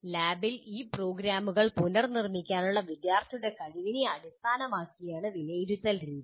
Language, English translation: Malayalam, And the assessment methods are also based on students' ability to reproduce these programs in the lab